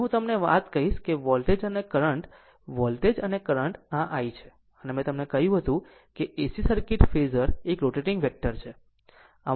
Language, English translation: Gujarati, Now, one thing I will tell you that voltage and current, voltage and current this is I say, I told you in ac circuit phasor is a rotating vector